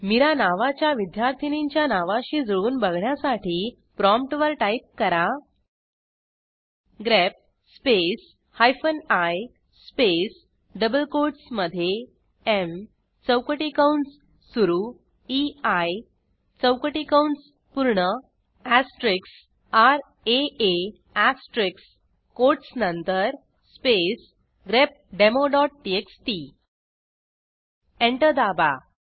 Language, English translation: Marathi, So to match the students name whose name is Mira We type at the prompt: grep space hyphen i space within double quotes m opening square bracket ei closing square bracket asterisk r a a asterisk after the quotes space grepdemo.txt Press Enter